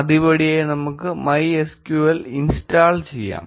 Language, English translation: Malayalam, As first step we will install MySQL